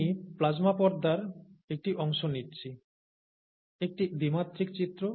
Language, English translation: Bengali, So I am taking a part of the plasma membrane, a two dimensional view